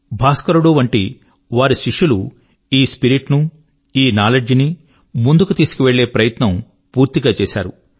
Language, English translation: Telugu, His disciples like Bhaskara, strived hard to further this spirit of inquiry and knowledge